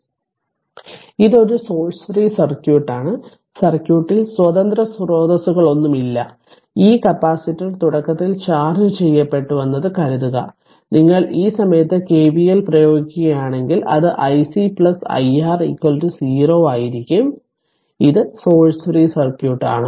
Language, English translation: Malayalam, So, its a source free circuit there is no independent source in the circuit, assuming that this capacitor was initially charged and if you apply KVL at this point it will be i C plus i R is equal to 0 right so, this is a source free circuit